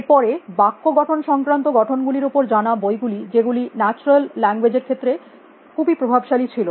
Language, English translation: Bengali, Then known book on syntactic structure, which was very influential in natural languages